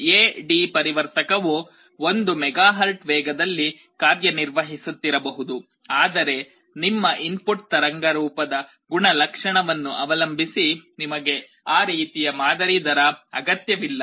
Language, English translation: Kannada, The A/D converter may be working at 1 MHz speed, but you may not be requiring that kind of a sampling rate depending on your input waveform characteristic